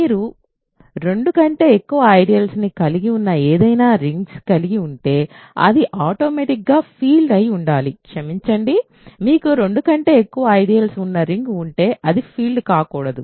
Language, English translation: Telugu, So, if you have any ring which has more than two ideals it must automatically be a field, sorry if you have any ring that has more than two ideals it must not be a field